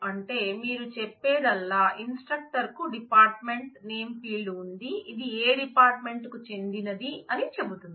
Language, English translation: Telugu, So, all that you are saying is the instructor has a dept name field which says which department does it belong to